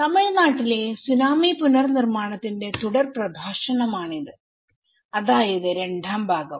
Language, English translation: Malayalam, This is a continuation lecture of tsunami reconstruction in Tamil Nadu part two